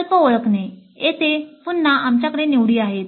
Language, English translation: Marathi, Then identifying the projects, again here we have choices